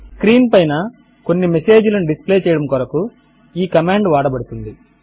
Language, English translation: Telugu, This command is used to display some message on the screen